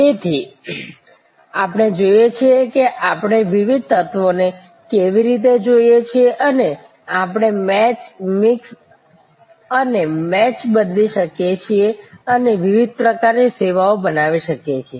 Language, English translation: Gujarati, So, we see, how we look at the different elements and we can change match, mix and match and create different kinds of services